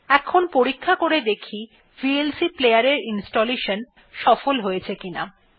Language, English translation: Bengali, Now, let us verify if the vlc player has been successfully installed